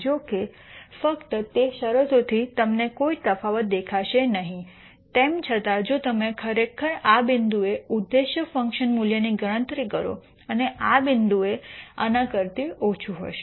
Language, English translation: Gujarati, However, from just those conditions you will not see any difference, nonetheless if you actually compute the objective function value at this point and this point this will be much smaller than this